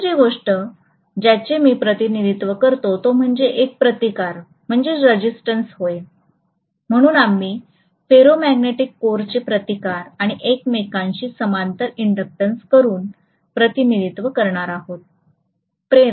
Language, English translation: Marathi, The second thing I would represent this by is a resistance, so we are going to represent the ferromagnetic core by a resistance and inductance in parallel with each other